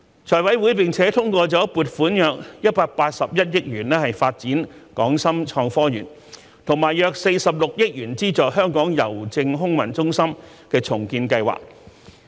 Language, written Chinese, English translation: Cantonese, 財委會並通過了撥款約181億元發展港深創科園，以及約46億元資助香港郵政空郵中心的重建計劃。, The Finance Committee also approved about 18.1 billion for the development of the Hong Kong - Shenzhen Innovation and Technology Park and about 4.6 billion for financing the redevelopment of the Air Mail Centre of Hongkong Post